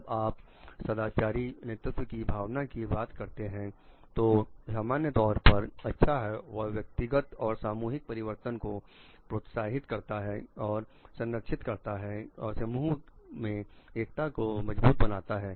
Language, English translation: Hindi, When you talk of the further a sense of moral leadership, so it serves a common good it is promoting personal and collective transformation and conserving the and strengthening the unity of the group